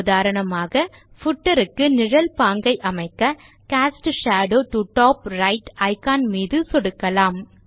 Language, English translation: Tamil, For example , to put a shadow style to the footer, we click on the Cast Shadow to Top Right icon